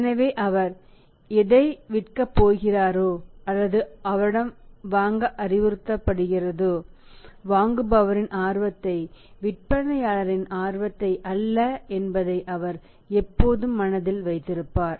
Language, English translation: Tamil, So, whatever he is going to sell to him or he is going to advise to buy from him that he would always keep in mind the buyer's interest not the seller interest